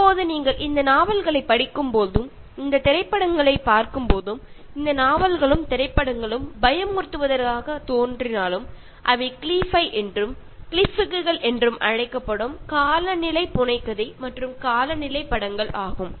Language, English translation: Tamil, Now when you read these novels, watch these movies, although these novels and movies appear to be scary, they are called as Cli fi and Cli flicks the climate fiction and climate films